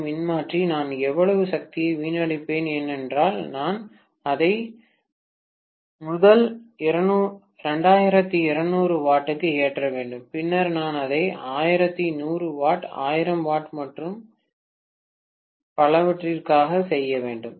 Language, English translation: Tamil, 2 kVA transformer, how much of power I would have wasted up because I should load it probably for first 2200 watts, then I have to do it for maybe 1100 watts, 1000 watts and so on and so forth